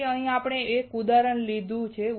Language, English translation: Gujarati, So, here we have taken one example